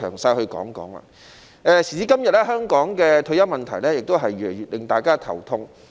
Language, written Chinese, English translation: Cantonese, 時至今日，香港的退休問題越來越令大家頭痛。, Nowadays the issue of retirement protection in Hong Kong has become a bigger and bigger headache for everyone